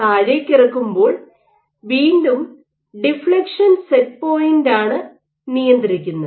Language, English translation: Malayalam, So, what you control is again the deflection set point